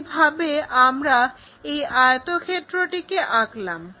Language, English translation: Bengali, So, in that way we can construct this rectangle